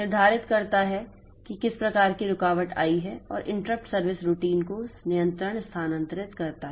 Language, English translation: Hindi, But after determining the type of interrupt that control will be transferred to the corresponding interrupt service routine